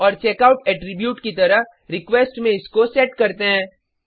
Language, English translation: Hindi, And set it into request as checkout attribute